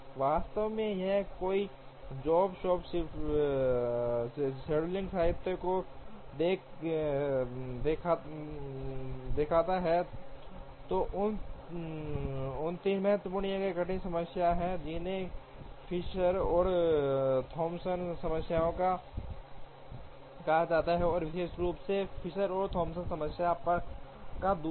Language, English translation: Hindi, In fact, if one looks at the job shop scheduling literature there are 3 important or difficult problems, which are called the Fisher and Thompson problems and particularly the second of the Fisher and Thompson problem